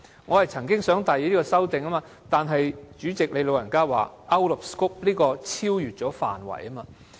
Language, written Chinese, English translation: Cantonese, 我曾經想提出這項修正案，但主席說修正案是超越了範圍。, I intended to propose a relevant amendment but the President ruled that it was out of scope